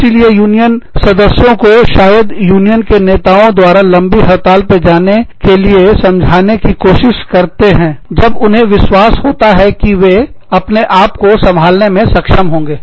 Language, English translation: Hindi, So, union leaders might try to convince, union members, to go on a long strike, when they are sure that, the union members will be able to survive